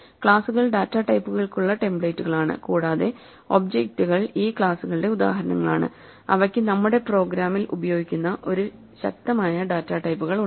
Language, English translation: Malayalam, Classes are templates for data types and objects are instances of these classes they have a concrete data types which we use in our program